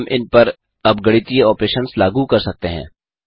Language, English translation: Hindi, We can perform mathematical operations on them now